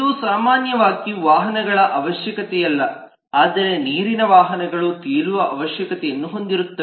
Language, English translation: Kannada, this is not the requirement of vehicles in general, but water vehicles will have a requirement of float